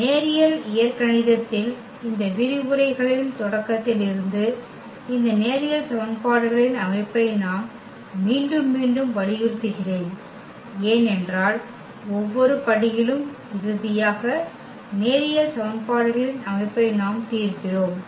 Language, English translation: Tamil, So, from the beginning of this lectures in linear algebra I am emphasizing again and again on this system of linear equations because at each and every step finally, we are solving the system of linear equations